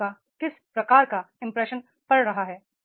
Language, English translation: Hindi, What type of impression you are having